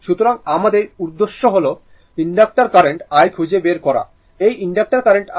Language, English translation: Bengali, So, our objective is to find the inductor current i, this is the inductor current i, right